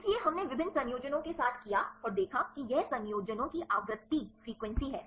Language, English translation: Hindi, So, we did with the different combinations and see that this is the frequency of combinations